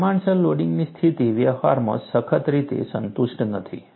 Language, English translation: Gujarati, Condition of proportional loading is not satisfied strictly in practice